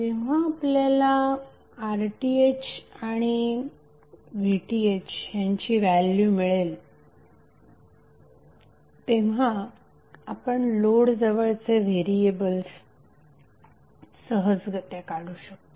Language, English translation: Marathi, So When you get the values of RTh and VTh you can easily find out the variables across the load